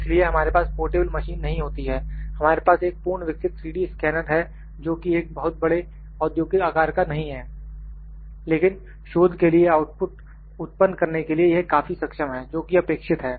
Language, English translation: Hindi, So, we do not have a portable machine, we have a full fledged 3D scanner not a very big industrial size, but for research it is quite capable of producing the outputs that has required